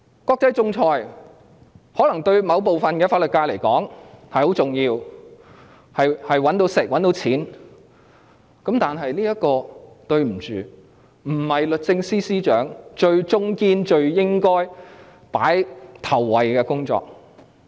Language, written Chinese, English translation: Cantonese, 國際仲裁對某部分法律界人士而言可能非常重要，可以賺錢過活，但抱歉，這並非律政司司長最重要、最應該放在首位的工作。, International arbitration may be extremely important to certain members in the legal sector for they can make a living out of this . Yet sorry the Secretary for Justice should not consider this her most important task and accord top priority to this